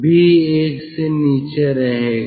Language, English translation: Hindi, this is also one